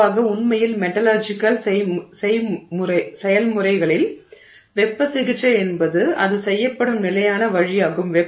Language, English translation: Tamil, Typically in fact in metallurgical processes, heat treatment is the standard way in which this is done